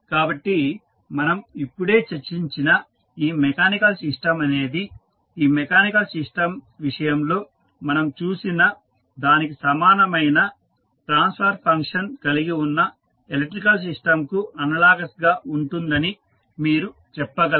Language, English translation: Telugu, So, you can say that mechanical system which we just discussed is analogous to some electrical system which have the same transfer function as we saw in case of this mechanical system